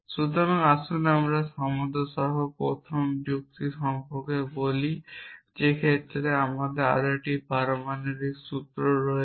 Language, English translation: Bengali, So, let us talk about the first order logic with equality here in which case we have one more atomic formula